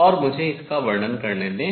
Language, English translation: Hindi, So, let me just summarize this